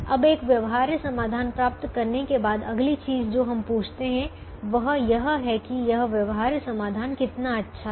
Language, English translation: Hindi, now, having obtained a feasible solution, the next thing that we ask is: how good is this feasible solution